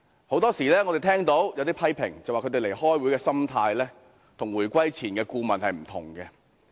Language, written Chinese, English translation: Cantonese, 我們經常聽到有批評指他們開會的心態與回歸前的顧問不同。, We often hear criticisms that their attitude in attending meetings is different from that of those advisers before the reunification